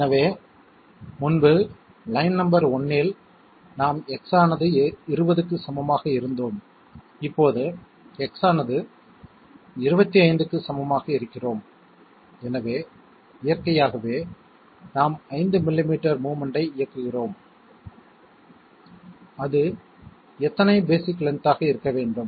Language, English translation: Tamil, So previously in line number 1 we were at X equal to 20 and now we are at X equal to 25, so naturally we are executing 5 millimetres of movement and how many basic lengths should it be